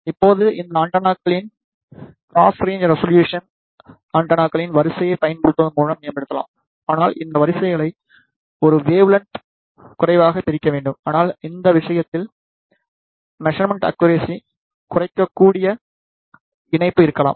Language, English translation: Tamil, Now, the cross range resolution of these antennas can be improved by using the array of antennas , but these arrays should be separated by less than one wavelength, but in this case there could be coupling which may reduce the accuracy of the measurement